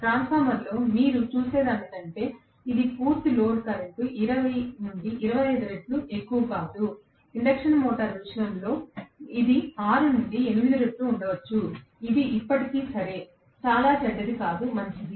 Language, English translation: Telugu, It is not as high as 20 to 25 times the full load current like what you see in a transformer, in the case of induction motor it may be 6 to 8 times, which is still okay, not too bad, fine